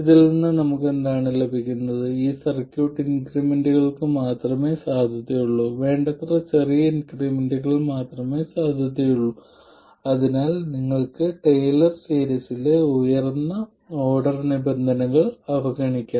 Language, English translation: Malayalam, This circuit is valid only for increments and only for increments that are sufficiently small so that you can neglect higher order terms in the Taylor series